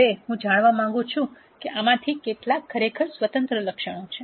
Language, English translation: Gujarati, Now, I want to know how many of these are really independent attributes